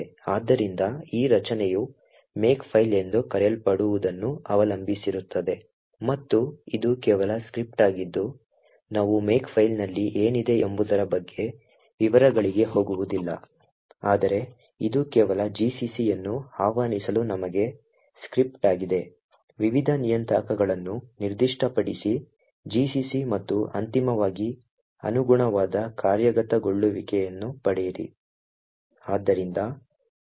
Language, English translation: Kannada, So, this make depends on what is known as a Makefile and it is just a script we will not go into the details about what is present in a make file but it is just a script that would commit us to invoke gcc specify various parameters for gcc and finally obtain the corresponding executable